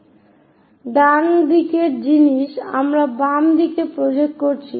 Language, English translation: Bengali, So, right side thing we are projecting on to the left side